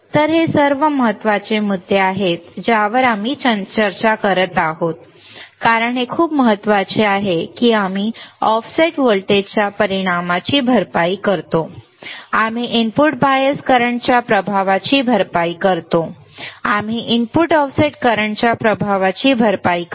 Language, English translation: Marathi, So, these are all the important points that we are discussing because it is very important that we compensate the effect of offset voltage, we compensate the effect of input bias current, we compensate the effect of input offset current